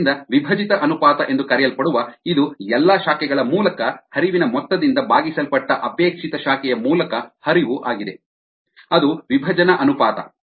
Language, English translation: Kannada, so the split ratio, as it is called this, is flux through the desired branch divided by the sum of fluxes through all branches